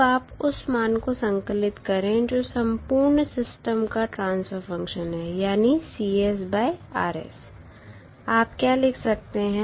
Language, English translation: Hindi, You now compile the value that is the transfer function of the complete system that is Cs upon Rs